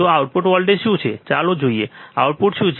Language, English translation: Gujarati, So, what is the output voltage let us see, what is the output